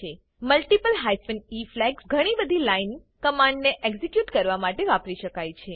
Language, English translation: Gujarati, Multiple hyphen e flags can be used to execute multiple line commands